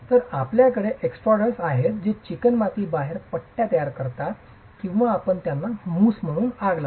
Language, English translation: Marathi, So, you have these extruders which will create strips as the clay comes out or you mould them and fire them